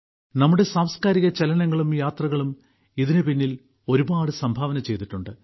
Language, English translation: Malayalam, Our cultural mobility and travels have contributed a lot in this